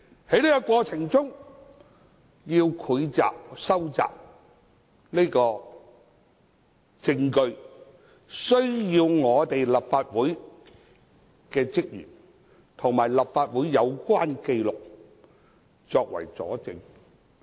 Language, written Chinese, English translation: Cantonese, 在這個過程中，需要搜集證據，需要立法會職員作證，並提供有關紀錄作為佐證。, In the process there is a need to collect evidence to require officers of the Legislative Council to give evidence and to provide the relevant documents as evidence